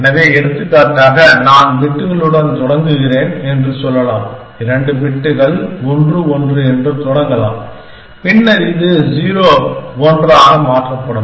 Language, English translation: Tamil, So, for example, I start with let us say bits, two bits which are 1 1 to start with and then this gets changed to 0 1 essentially